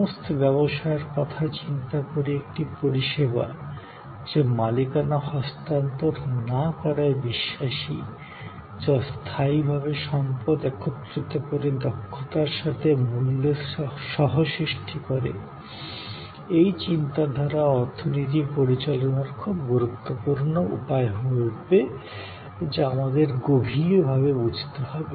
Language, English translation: Bengali, So, thinking of all businesses, a service, thinking of non transfer of ownership oriented, co creation of value by bringing temporarily resources together expertise together is very important way of managing the economy that we have to understand in depth